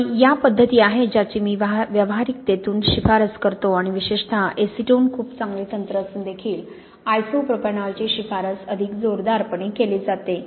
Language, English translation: Marathi, And these are the methods really I would tend to recommend from practicality and particularly isopropanol is probably the more strongly recommended although acetone also is very good technique